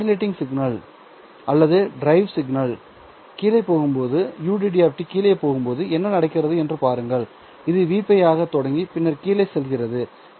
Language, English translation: Tamil, As the modulating signal UD of T or the drive signal UD of T is going down, it starts at V pi and then keeps going down